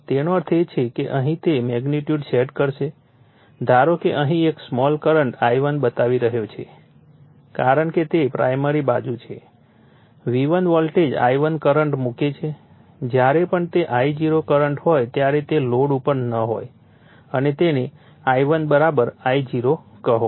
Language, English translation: Gujarati, That means, here it will sets up the magnitude suppose a small current here it is showing the I1 because it is primary side you are putting V1 voltage I1 current whenever it is I0 current when it is at no load right and that time I1 = say I0